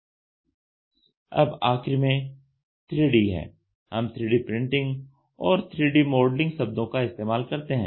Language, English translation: Hindi, Then at last 3D, we use 3D printing and 3D modelling